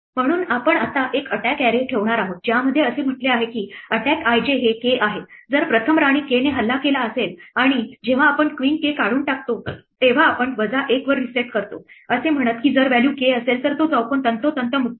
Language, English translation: Marathi, So, we are going to now keep an attack array which says that attack i j is k, if it is first attacked by queen k and when we remove queen k we reset to minus one saying that, that square is free precisely if the value is currently k